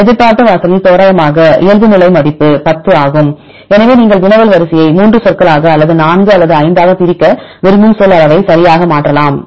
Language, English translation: Tamil, To the expected threshold is randomly default value is 10, but you can change right then the word size where you want to split the query sequence into 3 words or 4 or 5